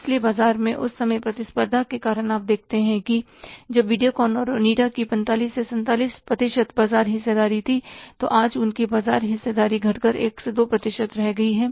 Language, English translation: Hindi, So, because of the competition in the market at the time you see that when the Videocon and Onida they had about say 45 to 47 percent market share, today their market share has come down to 1 to 2 percent